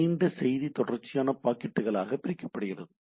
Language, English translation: Tamil, The longer message split into series of packets